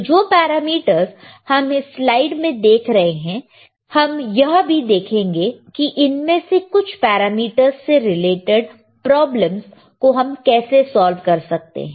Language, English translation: Hindi, So, the things that we are looking here in this particular slide we will also see some of those how we can actually solve the problems using this particular of for this particular parameters ok